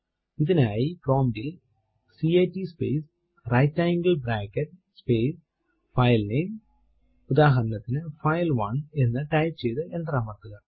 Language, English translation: Malayalam, For this type at the prompt cat space right angle bracket space filename say file1 and press enter